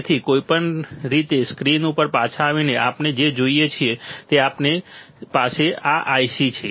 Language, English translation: Gujarati, So, anyway coming back to the screen what we see is that we have this IC